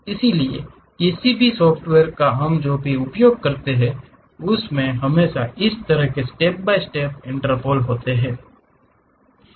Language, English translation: Hindi, So, any software what we use it always involves such kind of step by step interpolations